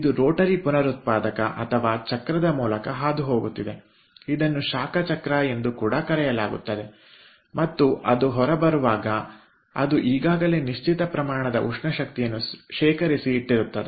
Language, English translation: Kannada, it is passing through the ah, through the, a rotary regenerator or wheel, which is also known as heat wheel, and then when it is coming out it has already deposited certain amount of thermal energy